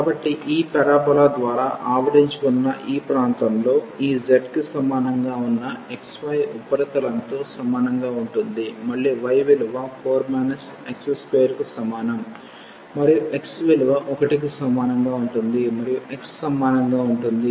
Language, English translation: Telugu, So, we have this z is equal to x y surface over this region which is enclosed by this parabola, again y is equal to 4 minus x square and x is equal to 1 and x is equal to 2